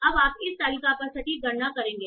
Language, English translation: Hindi, So you will compute precision over this table now